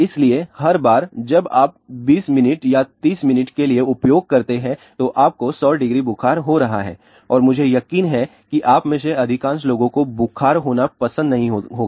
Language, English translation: Hindi, So, 20 minutes or 30 minute you are getting a fever of 100 degree and I am sure most of you people will not like to have the fever